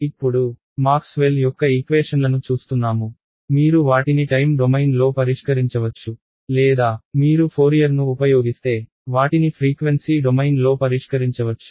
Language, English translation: Telugu, So, now, there are looking at the equations of Maxwell, you could solve them in let us say either the time domain or if you use Fourier ideas, you could solve them in the frequency domain ok